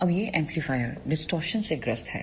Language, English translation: Hindi, Now, these amplifier suffers from the distortion